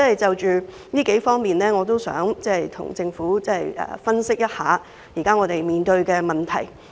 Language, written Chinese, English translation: Cantonese, 就此，我想跟政府分析一下我們當前面對的問題。, Here I would like to discuss with the Government the problems facing it at this moment